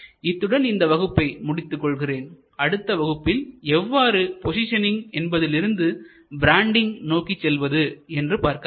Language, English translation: Tamil, So, this is where we end today and tomorrow we will take up how from positioning we go to branding